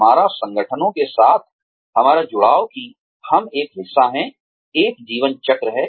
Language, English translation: Hindi, Our, we our associations with the organizations, that we are a part of, have a life cycle